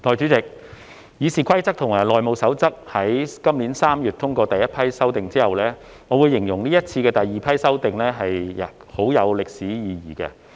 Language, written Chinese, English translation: Cantonese, 代理主席，《議事規則》及《內務守則》於今年3月通過第—批修訂後，我會形容這次的第二批修訂很有歷史意義。, Deputy President after the passage of the first batch of amendments to the Rules of Procedure and the House Rules in March this year I will say that this second batch of amendments has great historical significance